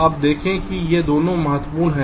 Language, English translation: Hindi, you see, both of these are important